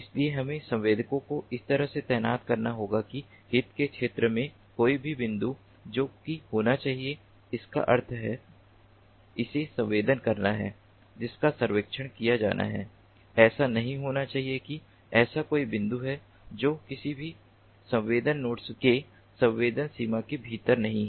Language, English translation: Hindi, so we have to deploy the sensors in such a way that none of the points in the terrain of interest which has to be, that means, which has to be sensed, which has to be [surve/surveilled] surveilled it should not happen that there is such a point which is not within the sensing range of, if any, sensor node